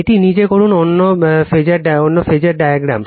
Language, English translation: Bengali, You do it yourself, right other phasor diagram